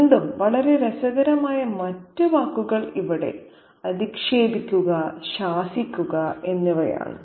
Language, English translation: Malayalam, So, again, other words that are very interesting are rebuking and chided here